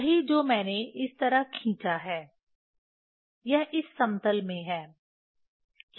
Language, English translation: Hindi, That is what I have drawn like this; it is in this plane